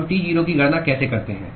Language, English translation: Hindi, how do we calculate T0